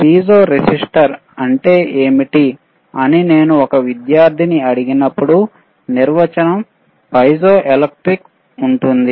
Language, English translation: Telugu, And when we ask what is piezoelectric the definition, it will be of piezo resistor